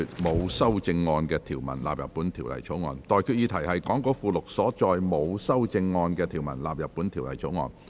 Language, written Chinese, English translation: Cantonese, 我現在向各位提出的待決議題是：講稿附錄所載沒有修正案的條文納入本條例草案。, I now put the question to you and that is That the Clauses with no amendment set out in the Appendix to the Script stand part of the Bill